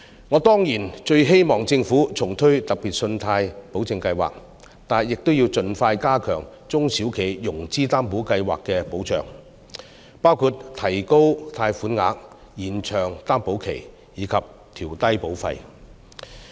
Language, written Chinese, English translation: Cantonese, 我當然最希望政府重推計劃，但亦要盡快加強中小企融資擔保計劃的保障，包括提高貸款額、延長擔保期及調低保費。, I definitely hope that the Government will relaunch SpGS and also enhance the protection under the SME Financing Guarantee Scheme as soon as possible including raising the loan amount lengthening the loan guarantee period and reducing the premium